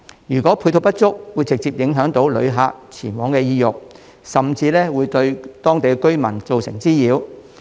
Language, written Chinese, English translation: Cantonese, 如果配套設施不足，會直接影響旅客前往的意欲，甚至會對當地居民造成滋擾。, If there are insufficient supporting facilities this will directly affect tourists interest in visiting those places and may even cause nuisance to the local residents . Just take Tai O as an example